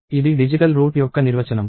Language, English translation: Telugu, So, this is the definition of a digital root